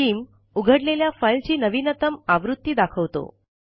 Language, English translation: Marathi, Skim shows the latest version of the opened pdf file